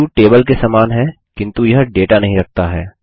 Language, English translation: Hindi, A view is similar to a table, but it does not hold the data